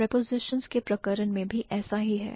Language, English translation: Hindi, Similar is the case with prepositions